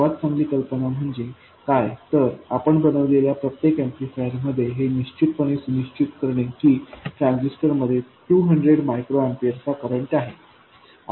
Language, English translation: Marathi, What is a better idea is to somehow make sure that in every amplifier that you make the transistor carries a current of 200 microampers